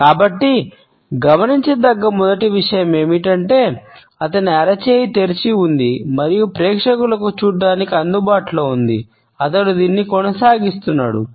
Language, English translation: Telugu, So, first thing to notice is that his palm is open and available for the audience to see from the get go on he continues to do this